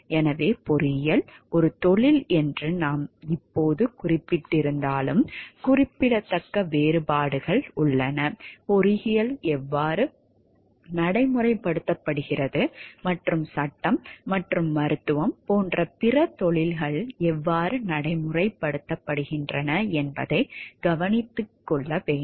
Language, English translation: Tamil, So, although we have just noted that engineering is a profession, it should be noted there are significant differences, in how engineering is practiced and how other professions like law and medicine are practiced